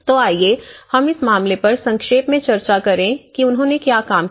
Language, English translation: Hindi, So, let us go case by case and briefly discuss about what they have worked on